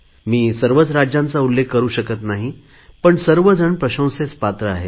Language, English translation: Marathi, I am not able to mention every state but all deserve to be appreciated